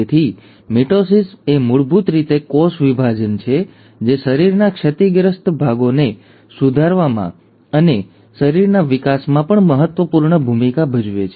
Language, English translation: Gujarati, So mitosis is basically the cell division which plays an important role in repairing the damaged parts of the body and also in the growth of the organism